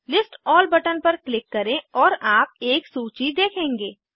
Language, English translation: Hindi, Click on List All button and you will see a list